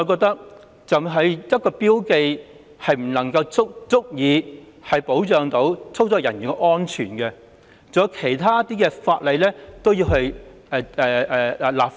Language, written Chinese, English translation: Cantonese, 單憑標記，我認為不足以保障操作人員的安全，其他方面亦應相應立法。, I do not think marking alone is sufficient to protect the safety of operators . Corresponding legislation in other areas are also necessary